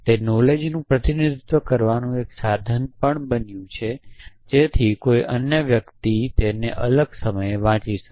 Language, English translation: Gujarati, It also became a means of representing knowledge so that somebody else could read it as a different point of time